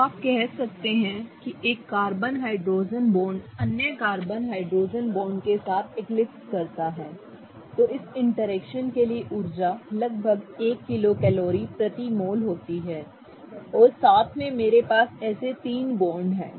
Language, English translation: Hindi, So, you can say that approximately a carbon hydrogen bond eclipsing with other carbon hydrogen bond, the energy for this interaction is about one kilo calories per mole and together I have three of these bonds